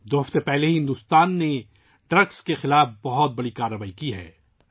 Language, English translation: Urdu, Two weeks ago, India has taken a huge action against drugs